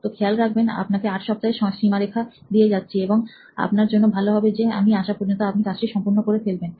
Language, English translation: Bengali, So remember, I am giving you an 8 week deadline and it better be done, by the time I get back